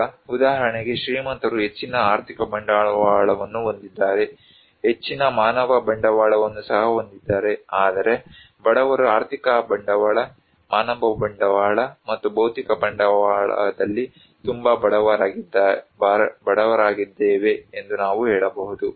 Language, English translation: Kannada, Now, these like for example the rich people they have greater financial capital, also greater human capital whereas the poor they are very poor at financial capital, human capital and physical capital we can say